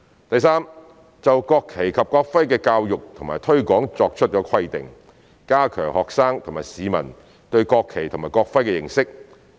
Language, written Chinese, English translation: Cantonese, 第三，就國旗及國徽的教育和推廣作出規定，加強學生及市民對國旗及國徽的認識。, Third providing for the education and promotion of the national flag and national emblem so as to enhance students and peoples understanding